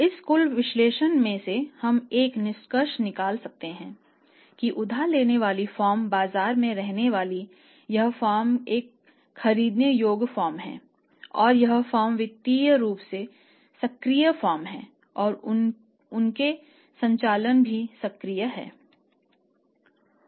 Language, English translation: Hindi, Because you want to make sure you want to make sure that they are going to the firm this a borrowing firm they are going to stay in the market that firm is a buyable firm that firm is financially say active firm and their operations are also active